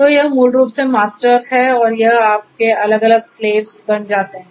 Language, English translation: Hindi, So, this is basically the master and this becomes your different slaves